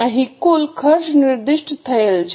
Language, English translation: Gujarati, Here the total cost is specified